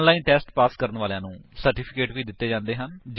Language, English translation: Punjabi, Gives certificates to those who have passed an online test